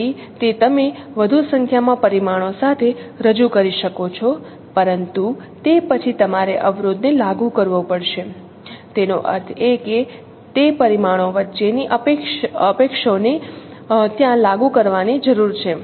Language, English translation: Gujarati, So it will it you can represent with more number of parameters but then no you have to enforce the constraints that means the in dependencies among those parameters needed to be enforced there